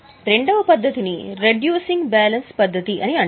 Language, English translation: Telugu, The second method is known as reducing balance method